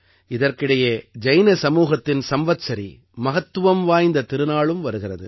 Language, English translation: Tamil, Meanwhile, there will also be the Samvatsari festival of the Jain community